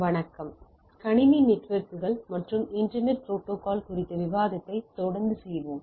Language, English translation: Tamil, Hello, we will be continuing our discussion on Computer Networks and Internet Protocols